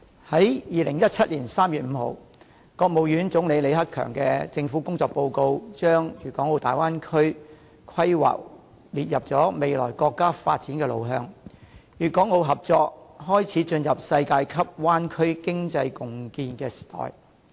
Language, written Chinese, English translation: Cantonese, 在2017年3月5日，國務院總理李克強的政府工作報告把粵港澳大灣區規劃列入未來國家的發展路向，粵港澳合作開始進入世界級灣區經濟共建時代。, In the report on the work of the Government issued on 5 March 2017 Premier LI Keqiang of the State Council listed the planning of the Bay Area as one of its future development directions . This marks the debut of the Guangdong Hong Kong and Macao entering an era of joint cooperation in building a world - class Bay Area economy